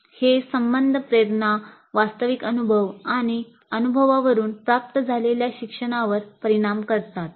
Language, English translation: Marathi, These relationships influence the motivation, the actual experience and the learning that results from the experience